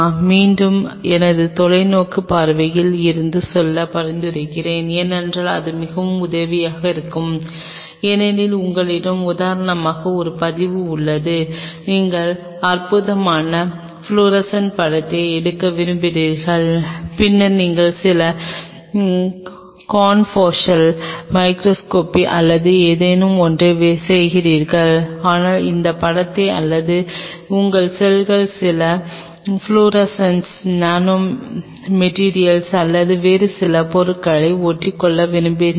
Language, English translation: Tamil, Again, out of my farsightedness I will recommend go for it because that is really helpful because then you have a recording like say for example, you want to take wonderful florescent picture you will be doing later some confocal microscopy or something, but you want to take that picture or your cells adhering to some florescent nanomaterial or some other material